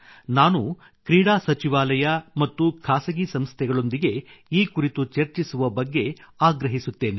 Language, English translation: Kannada, I would urge the Sports Ministry and private institutional partners to think about it